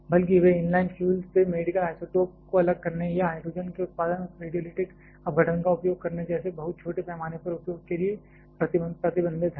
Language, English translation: Hindi, Rather they are more restricted to much small scale use like the medical isotope separation from inline fuel or also using that radiolytic decomposition the production of hydrogen